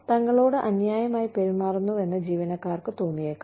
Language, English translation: Malayalam, Employees may feel that, they are being treated unfairly